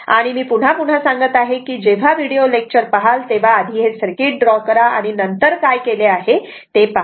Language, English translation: Marathi, So, whenever you I tell again and again whenever look in to this video lecture first you draw the circuits, then you look what has been done